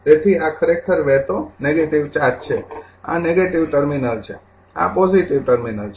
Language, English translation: Gujarati, So, this is actually negative charge flowing, this is the negative terminal, this is the positive terminal